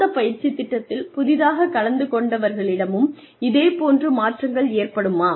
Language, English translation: Tamil, Will similar changes occur, with the new participants, in the same training program